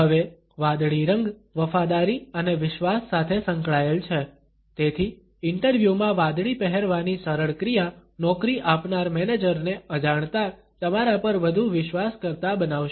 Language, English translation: Gujarati, Now, the color blue is associated with loyalty and trust, so the simple act of wearing blue to the interview will make the hiring manager unconsciously trust you more